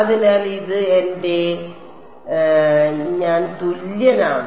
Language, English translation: Malayalam, So, this is going to be